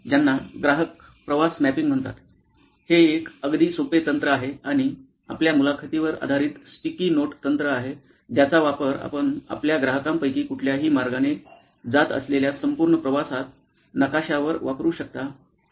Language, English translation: Marathi, It is a very simple technique, and interview based sticky note technique that you can use to map the entire journey that any of your customer is going through